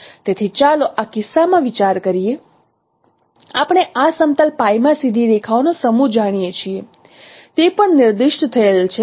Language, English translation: Gujarati, So in this case let us consider we know a set of straight lines in this plane pi